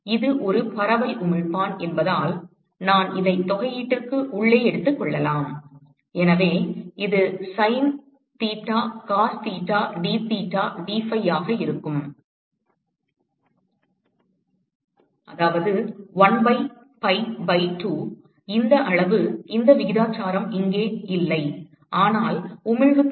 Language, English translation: Tamil, I could take this inside the integral because it is a diffuse emitter and so, it will be sin theta cos theta dtheta dphi and so, that is 1 by pi by 2 this quantity this ratio here is nothing, but the emissivity